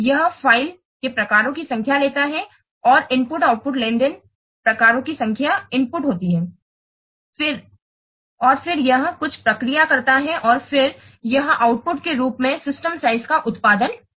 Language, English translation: Hindi, It takes the number of file types and the number of input and output transaction types as input and then it processes something and then it will produce the system size as the output